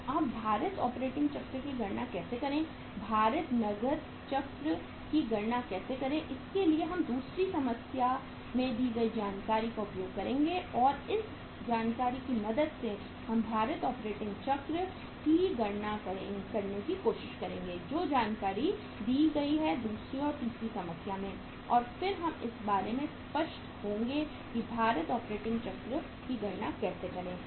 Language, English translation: Hindi, So how to calculate now the weighted operating cycle, how to calculate the weighted cash cycle for that we will be using the information given in the second problem and with the help of this information we will try to calculate the weighted operating cycle, the information given in the second and third problem and then we will be clear about that how to calculate the weighted operating cycle